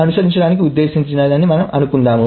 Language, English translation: Telugu, Suppose this was what was intended to follow